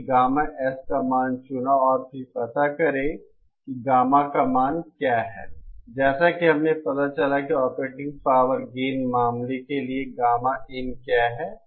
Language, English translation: Hindi, We chose the value of gamma S and then find out what is the value of gamma out just like we found out what is the very of gamma in for the operating power gain circle case